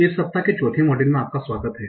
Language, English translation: Hindi, So, welcome to the fourth module of the of this week